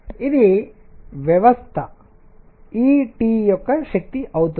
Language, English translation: Telugu, This is going to be the energy of the system E T